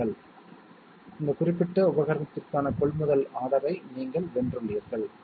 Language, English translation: Tamil, Congratulation, so you have won the purchase order for this particular equipment